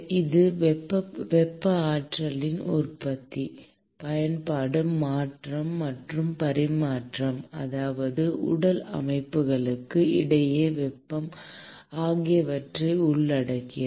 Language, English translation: Tamil, It involves generation, use, conversion and exchange of thermal energy, that is, heat between physical systems